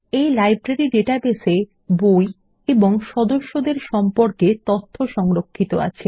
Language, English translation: Bengali, In this Library database, we have stored information about books and members